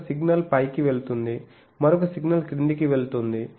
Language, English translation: Telugu, So, there are one signal is going up another signal is going down